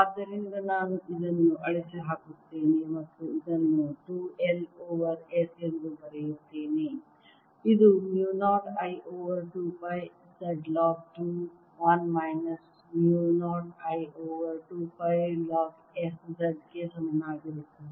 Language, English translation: Kannada, so i'll erase this and write this as two l over s, which is equal to mu naught i over two pi z log of two l minus mu naught i over two pi log of s z